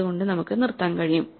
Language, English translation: Malayalam, So, we can stop